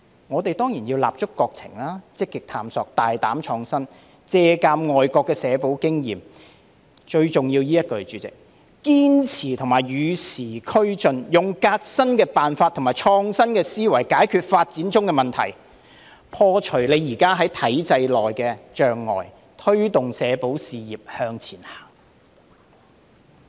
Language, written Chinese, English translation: Cantonese, 我們當然要立足國情、積極探索、大膽創新、借鑒國外社保經驗——代理主席，最重要是以下這一句——堅持與時俱進，用革新的辦法和創新的思維解決發展中的問題，破除現時在體制內的障礙，推動社保事業向前行。, We should of course give regard to the conditions of our Country explore proactively be bold and innovative draw on the experience of overseas countries in social security―Deputy President the following line is most important―be persistent in keeping abreast of the times adopt new approaches and innovative thinking to solve the problems in development tear down existing barriers in the system and drive forward the social security sector